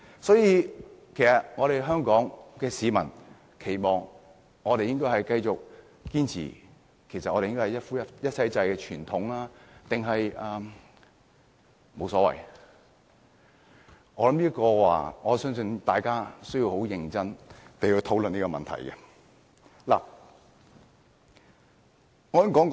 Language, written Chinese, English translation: Cantonese, 所以，香港市民期望繼續堅持一夫一妻制的傳統，還是沒有所謂，我想大家有需要很認真地討論這個問題。, Hence I think there is a need for the people in Hong Kong to seriously discuss whether they wish to cling to the traditional institution of monogamy or they have no preference